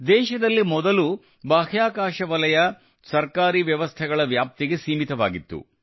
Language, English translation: Kannada, Earlier in India, the space sector was confined within the purview of government systems